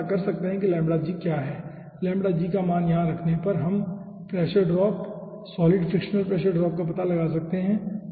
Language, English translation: Hindi, putting the value of lambda g over here, we can find out the solid pressure drop